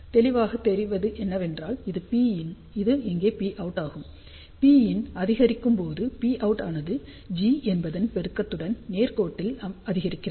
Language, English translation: Tamil, And this is obvious in the sense that this is P input, this is P output over here, as P input increases, P output increases linearly with the gain of G